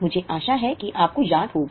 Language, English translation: Hindi, I hope you remember